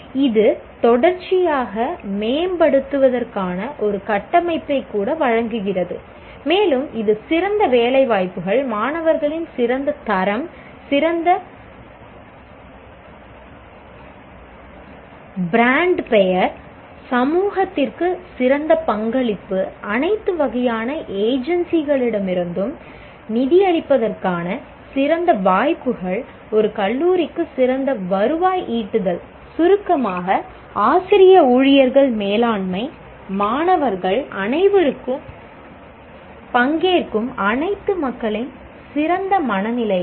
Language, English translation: Tamil, And it can lead to better placements, better quality of student intake, better brand name, better contribution to society, better chances of funding from all types of agencies, better revenue generation even for a college, and in summary, a kind of a better mindset of all, of all the people participating, that is faculty, staff, management, students, everyone